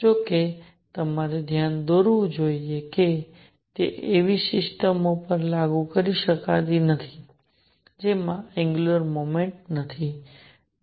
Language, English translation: Gujarati, However, I must point out that it cannot be applied to systems which do not have angular momentum